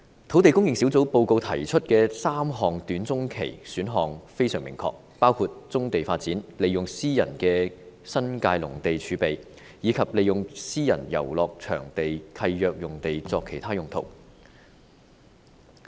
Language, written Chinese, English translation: Cantonese, 土地供應專責小組報告提出的3項短中期選項非常明確，包括棕地發展、利用私人的新界農地儲備，以及利用私人遊樂場地契約用地作其他用途。, The three short - to - medium term options proposed by the Task Force on Land Supply are most clear . They include developing brownfield sites tapping into private agricultural land reserve in the New Territories and alternative uses of sites under private recreational leases